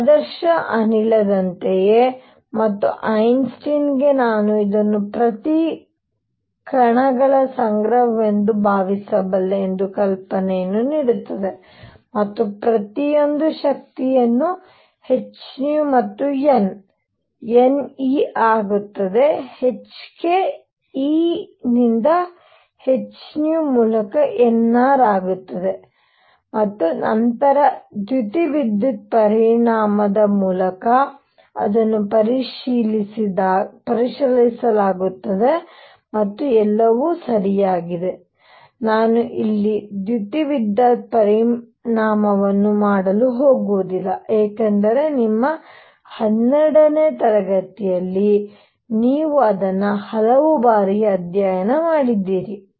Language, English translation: Kannada, Just like ideal gas and that is what gives Einstein the idea that I can think of this as a collection of particles with each having energy h nu and n becomes n E by h k E by h nu becomes n R and then through photoelectric effect, it is checked and everything comes out to be correct, I am not going to do photoelectric effect here because you studied it many many times in your 12th grade and so on